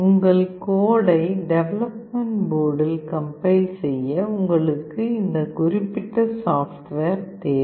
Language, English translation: Tamil, To compile your code into the development board you need that particular software